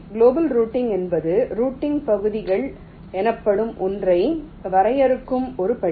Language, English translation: Tamil, global routing is a step very define something called routing regions